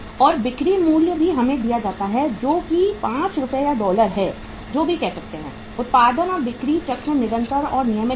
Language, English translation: Hindi, And selling price is also given to us that is 5 Rs or dollars we call it as and production and sales cycle is continuous and regular